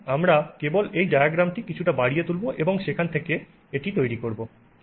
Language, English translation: Bengali, So, we are just going to magnify this diagram a little bit and build on it from there